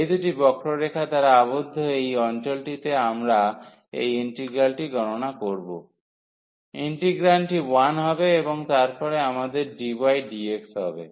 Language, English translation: Bengali, So, this area bounded by these two curves we will compute this integral, the integrand will be 1 and then we have dy dx